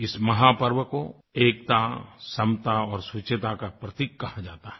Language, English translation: Hindi, This Mahaparva, megafestival stands for unity, equality, integrity and honesty